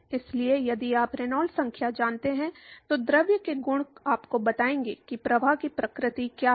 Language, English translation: Hindi, So, if you know Reynolds number then the properties of the fluid will tell you what is the nature of the flow